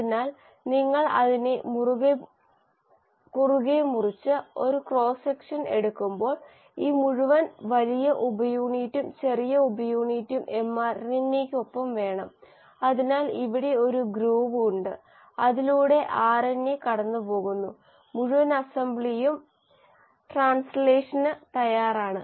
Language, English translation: Malayalam, So when you cut it across and see a cross section, when this entire large subunit and the small subunit along with mRNA in between; so there is a groove here in, through which the RNA is passing through, you, the whole assembly is ready for translation